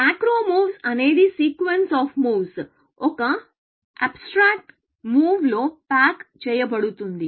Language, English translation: Telugu, A macro move is a sequence of moves, packaged into one abstract move